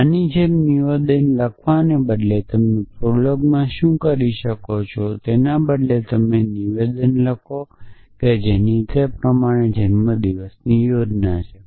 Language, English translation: Gujarati, So, instead of writing a statement like this what you can do in prolog is to instead of this you write the statement as follows that a birthday plan